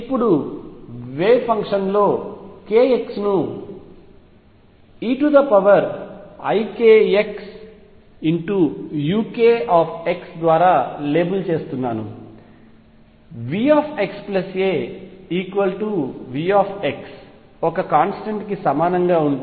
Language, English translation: Telugu, Now, in the wave function I am labelling it by k x is e raise to i k x u k x, right if V x plus a equals V x is equal to a constant